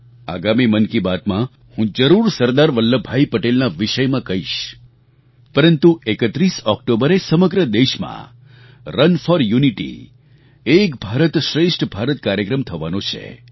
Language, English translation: Gujarati, In the next Mann Ki Baat, I will surely mention Sardar Vallabh Bhai Patel but on 31st October, Run for Unity Ek Bharat Shreshth Bharat will be organized throughout the country